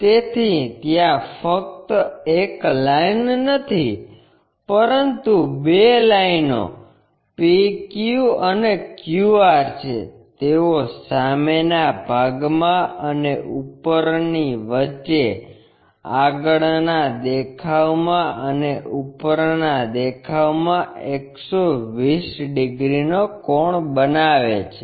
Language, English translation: Gujarati, So, it is not just one line, but two lines PQ and QR, they make an angle of 120 degrees between them in front and top, in the front views and top views